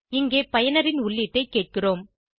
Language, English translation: Tamil, Here we are asking the user for input